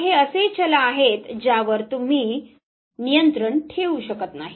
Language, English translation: Marathi, So, these are the variables which you do not control over